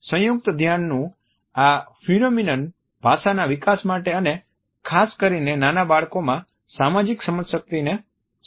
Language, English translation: Gujarati, This phenomenon of joint attention facilitates development of language as well as social cognition particularly in young children